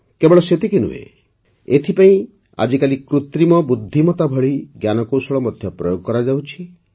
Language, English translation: Odia, Not only that, today a technology like Artificial Intelligence is also being used for this